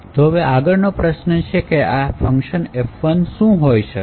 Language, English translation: Gujarati, So, the next question is what should be this function F1